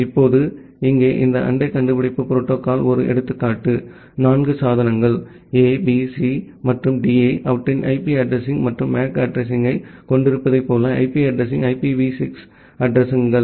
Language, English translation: Tamil, Now this neighbor discovery protocol here is an example; like you say 4 devices A B C and D which have their IP address and the MAC address here, the IP address are the IPv6 addresses